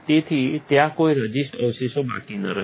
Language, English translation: Gujarati, So, there is no resist residues left